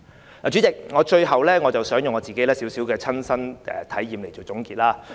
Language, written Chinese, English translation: Cantonese, 代理主席，最後，我想以自己的親身體驗作總結。, Deputy President lastly I wish to share my personal experience to conclude